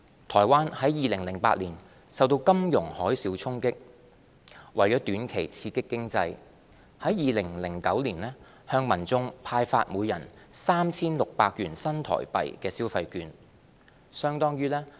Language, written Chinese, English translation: Cantonese, 台灣於2008年受到金融海嘯衝擊，為短期刺激經濟，於2009年向民眾派發每人 3,600 元新台幣的消費券。, Hit by the financial tsunami in 2008 Taiwan issued consumption vouchers worth NT3,600 each to its citizens in 2009 as a short - term stimulus to the economy